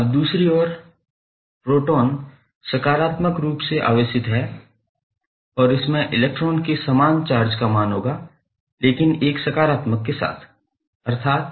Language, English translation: Hindi, Now, proton is on the other hand positively charged and it will have the same magnitude as of electron but that is plus sign with 1